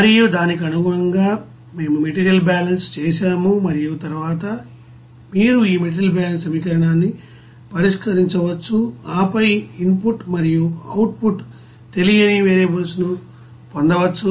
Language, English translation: Telugu, And accordingly we have you know done the material balance and then you can you know solve this material balance equation, and then get the you know input and output unknown variables there